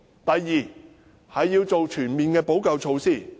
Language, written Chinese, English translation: Cantonese, 第二，要做全面的補救措施。, Second it must implement comprehensive remedial measures